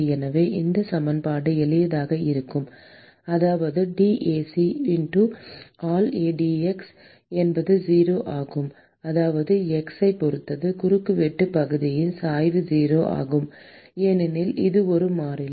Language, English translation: Tamil, So, this equation would simply which means that dAc x by dx is 0, which means that the gradient of the cross sectional area with respect to x is 0, because it is a constant